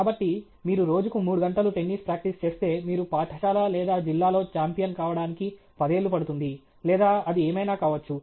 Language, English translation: Telugu, So, if you practice tennis for three hours a day, it will take about ten years for you to become a champion in school or district or whatever it may be